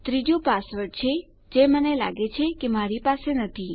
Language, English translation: Gujarati, The third one is the password which I believe I dont have